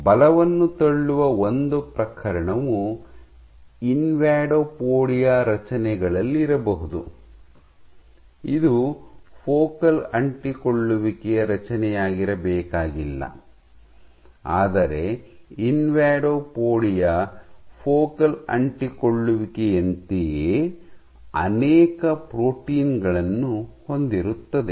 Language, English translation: Kannada, So, one case of pushing forces might be in the structures of invadopodia, it is not necessarily a focal adhesion structure, but invadopodia contains many proteins at invadopodia similar to that of focal adhesions